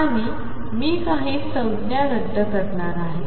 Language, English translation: Marathi, And I am going to cancel a few terms